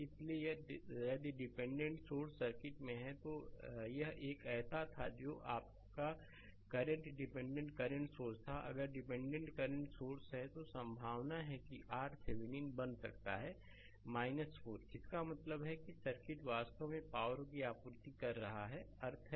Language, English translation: Hindi, So, if dependent sources are there in the circuit right, there it was a one your current dependent current source was there, if dependent current source is there, then there is a possibility that R Thevenin may become minus 4 that means, circuit actually supplying the power this is the meaning right